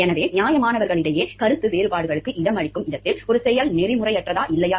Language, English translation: Tamil, So, where there is a room for disagreement among reasonable people over, whether there is an act is unethical or not